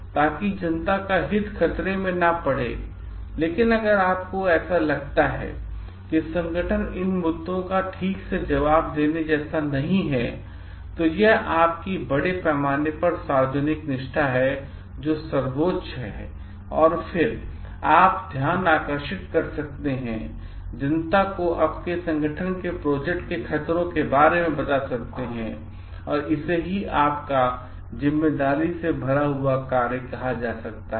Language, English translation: Hindi, So, that the interest of the public at large is not jeopardized, but if you find like the organization is not like answering to these issues properly, then it is your loyalty to the public at large which is supreme and then, that is where you may come for whistleblowing and making to know the public about the dangers of the may be project that your organization has undertaken when you talk about responsibility